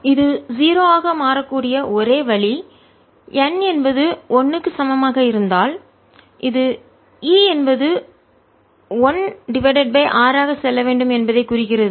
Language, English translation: Tamil, the only way this can become zero is if n equals one and this implies e should go as one over r